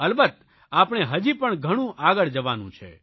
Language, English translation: Gujarati, I also know that we still have to go much farther